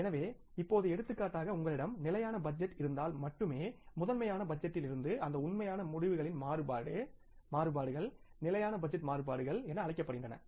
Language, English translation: Tamil, So now for example if you have the static budget only the variance variances of the actual results from the master budget are called as static budget variances